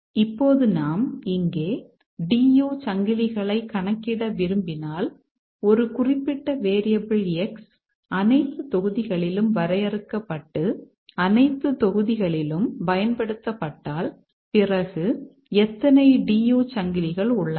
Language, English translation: Tamil, Now if we want to compute the DU chains here, if a certain variable X is let's say used in defined in all the blocks and used in all the blocks, then how many DU chains are there